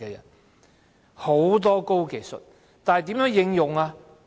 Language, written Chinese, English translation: Cantonese, 有很多高技術，但如何應用？, There are a lot of high technologies but how do we apply them?